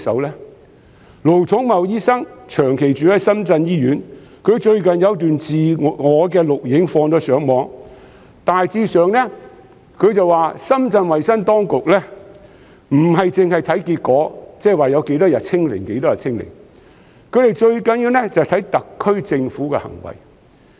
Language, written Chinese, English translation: Cantonese, 盧寵茂醫生長駐深圳醫院，他最近有段自拍錄影上傳互聯網，大致上表示深圳衞生當局不單是看結果，即有多少天"清零"，最重要的是看特區政府的行為。, Dr LO Chung - mau who is stationed in a Shenzhen hospital recently uploaded to the Internet a selfie video which roughly said that Shenzhens health authorities look at not just the result indicated by the number of days of zero local infections but most importantly also the acts of the SAR Government